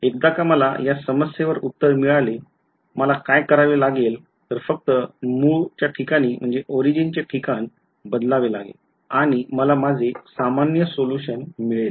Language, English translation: Marathi, Once I get the solution to this problem, all I have to do is do a change shift of origin and I get my general solution ok